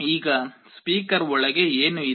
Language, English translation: Kannada, Now, what is there inside a speaker